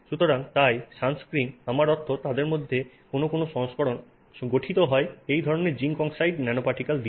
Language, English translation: Bengali, So, thus sunscreen consists of, I mean, is seen to one, some versions of them have this nanoparticles of zinc oxide